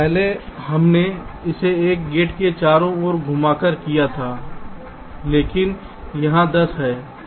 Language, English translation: Hindi, earlier we did it by moving a gate around, but here lets see this ten